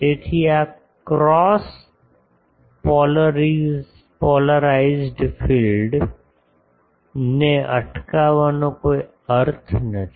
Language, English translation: Gujarati, So, there is no point of preventing this cross polarized field